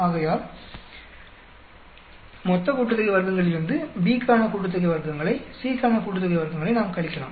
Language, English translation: Tamil, So, from total sum of squares, we can some subtract sum of squares for B, sum of squares for C